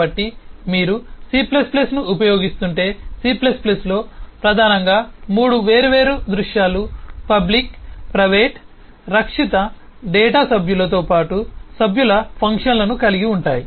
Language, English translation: Telugu, So if you are using c plus plus, c plus plus has primarily 3 eh different visibility available to public, private and protected, both data members as well as member functions